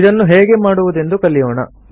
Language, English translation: Kannada, Let us learn how to do it